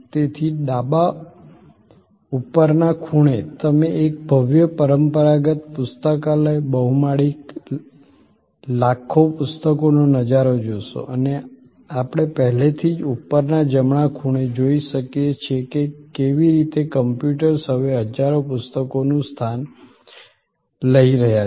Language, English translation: Gujarati, So, on the left upper corner you see the view of a grand traditional library, multi storied, millions of books and we can also already see on the top right hand corner, how computers are now replacing thousands of books